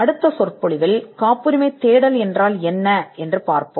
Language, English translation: Tamil, In the next lecture we will see what is a patentability search